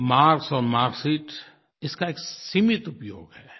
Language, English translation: Hindi, Marks and marksheet serve a limited purpose